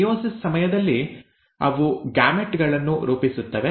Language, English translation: Kannada, During meiosis they form gametes